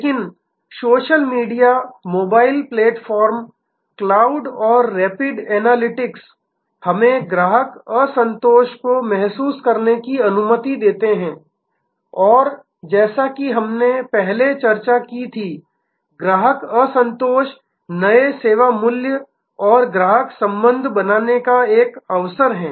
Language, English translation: Hindi, But, the social media, the mobile platform, the cloud and rapid analytics allow us to sense customer dissatisfaction and as we discussed earlier, customer dissatisfaction is an opportunity for creating new service value and customer relationship